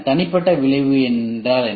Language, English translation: Tamil, What is the individual effect